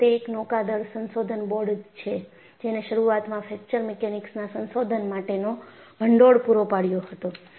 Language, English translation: Gujarati, In fact, it is the naval research board, which funded fracture mechanic research initiate